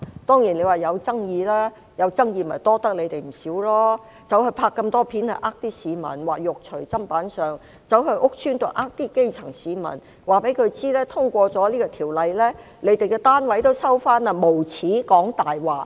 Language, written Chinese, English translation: Cantonese, 當然，引起了爭議，這要多虧你們了，拍攝那麼多錄像影片欺騙市民，說"肉隨砧板上"，又到屋邨欺騙基層市民，告訴他們通過條例後，他們的單位會被收回，無耻地說謊。, Of course it has caused controversy . Thanks to you for shooting so many videos to deceive the public saying that they are meat on the chopping board and then go to the housing estates to deceive grassroots citizens by lying to them shamelessly that after passage of the bill their units will be taken back